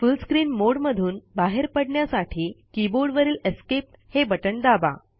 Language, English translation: Marathi, In order to exit the full screen mode, press the Escape key on the keyboard